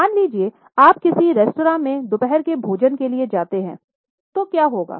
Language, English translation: Hindi, Suppose you go to some restaurant to have, say, some lunch